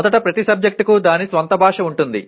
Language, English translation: Telugu, First of all every subject has its own language